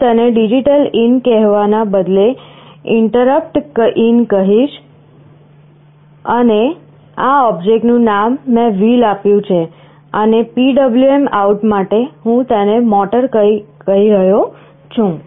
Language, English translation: Gujarati, I declare it as instead of telling it as DigitalIn, I mention it as InterruptIn, and the name of this object I have given as “wheel”, and for PWM out I am calling it “motor”